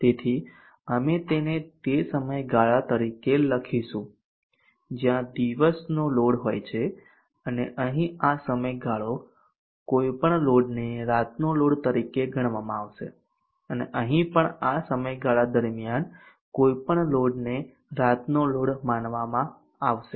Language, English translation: Gujarati, So we will write this down as the period where day load happens and here this time duration any load will be considered as night load and here to in this time duration any load will be considered as night load